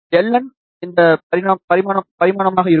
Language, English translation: Tamil, L n will be this dimension